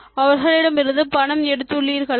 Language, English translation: Tamil, Have you taken money from others